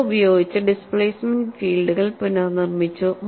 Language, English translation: Malayalam, Using that, the displacement fields are reconstructed